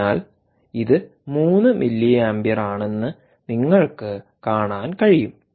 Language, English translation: Malayalam, so, ah, you have see, you can see that this is three milliamperes